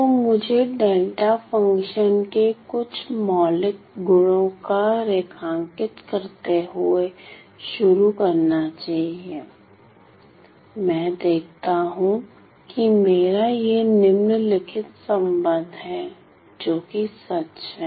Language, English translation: Hindi, So, let me start by outlining some fundamental properties of delta function, I see that I have this following relation that is that holds true